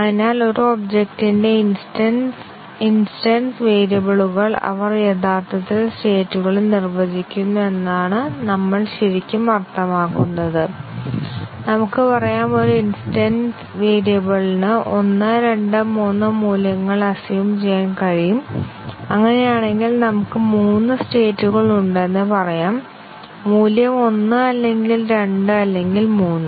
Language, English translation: Malayalam, So, what we really mean that the instance variables of an object they actually define the states and let us say, an instance variable can assume values 1, 2, 3 and in that case we might say that there are three states when the instance variable value is 1 or 2 or 3